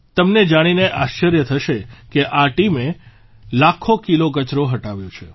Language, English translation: Gujarati, You will be surprised to know that this team has cleared lakhs of kilos of garbage